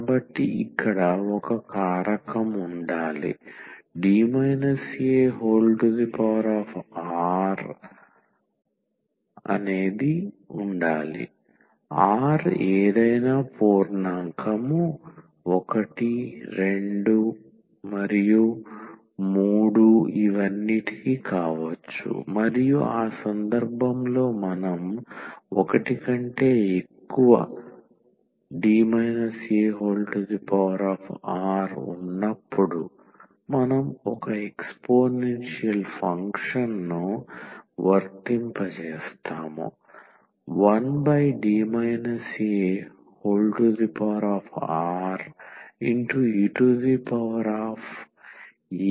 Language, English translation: Telugu, So, there must be a factor here D minus a power r, r can be any integer 1, 2, 3 and so on and in that case we have also derived that 1 over D minus a this power r when we apply one exponential function we will get this x power r over factorial r and exponential e ax